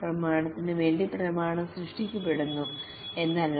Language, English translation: Malayalam, It is not that for the sake of documentation is created